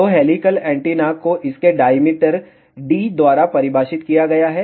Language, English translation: Hindi, So, helical antenna is defined by its diameter D